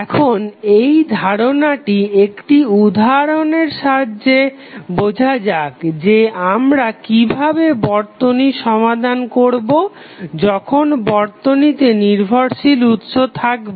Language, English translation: Bengali, Now, let us understand this concept of how to solve the circuit when we have the dependent source with the help of one example